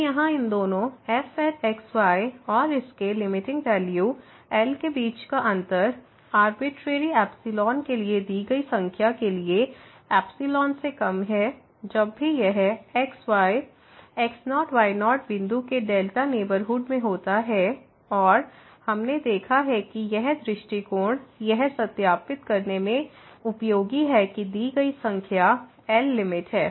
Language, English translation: Hindi, So, the difference between the two here and minus its limiting value is less than epsilon for a given number for an arbitrary epsilon whenever this is in the delta neighborhood of point and we have seen that this approach is useful in verifying that the given number is the limit